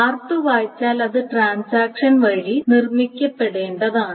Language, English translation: Malayalam, So if R2A is read, that must be produced by transaction 1